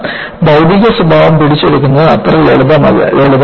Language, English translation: Malayalam, Because capturing the material behavior is not so simple